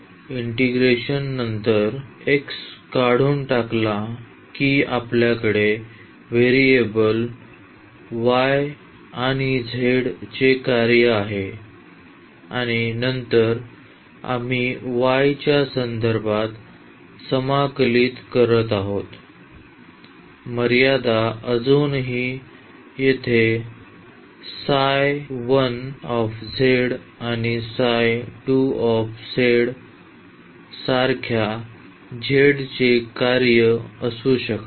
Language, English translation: Marathi, After this integration the x is removed we have the function of variable y and z and then we are integrating with respect to y the limits still can be the function of z like here psi 1 z and psi 2 z